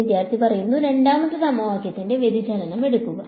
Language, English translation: Malayalam, Take the divergence of the second equation